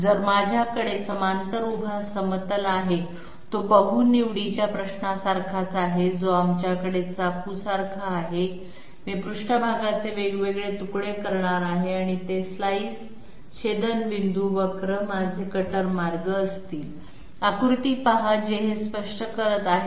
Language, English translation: Marathi, So I have parallel vertical plane is just like that multiple choice question that we had just like a knife I am going to slice the surface into different slices and those slice interaction curves are going to be my cutter paths, see the figure which will make it clear